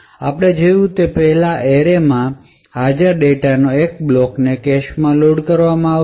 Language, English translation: Gujarati, Thus, as we seen before one block of data present in array would be loaded into the cache